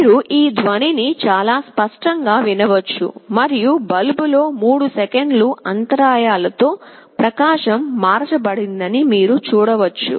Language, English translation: Telugu, You can hear the sound very clearly, and in the bulb you can see that with gaps of 3 seconds the brightness is changed